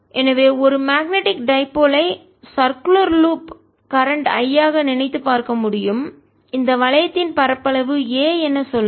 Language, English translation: Tamil, so a magnetic dipole can be thought of a circular loop of current, say i, and the area of this loop is, say a